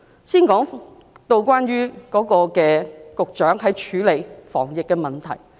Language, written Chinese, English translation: Cantonese, 先談談局長處理防疫的問題。, Let us first talk about how the Secretary tackled the anti - epidemic problems